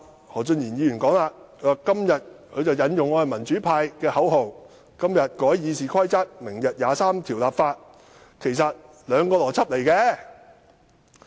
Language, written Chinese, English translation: Cantonese, 何俊賢議員其後借用民主派的口號並解釋說，今天改議事規則和明日23條立法，邏輯上其實沒有關係。, Mr Steven HO later borrowed the slogan used by the pro - democracy camp and explained that the amendments to RoP today are actually logically unrelated to the enactment of legislation on Article 23 tomorrow